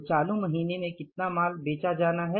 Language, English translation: Hindi, So, how much goods to be sold in the current month